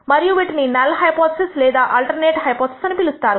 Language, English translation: Telugu, You call them either the null hypothesis or the alternate hypothesis